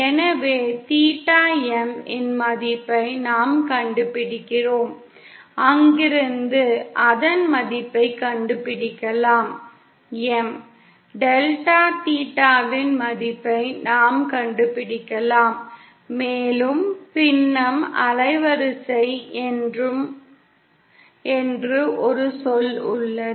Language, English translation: Tamil, So we kind of find out the value of theta M and from there we can find out the value of, uhh; we can find out the value of delta theta and we have a term called fractional band width